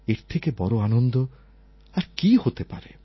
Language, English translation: Bengali, Can there be a bigger satisfaction than this